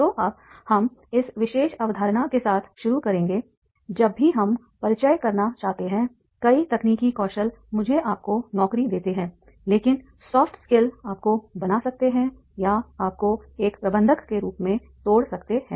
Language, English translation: Hindi, So now we will start with this particular concept that is the whenever we want to introduce the many technical skills may get you the job but the soft skills can make you or break you as a manager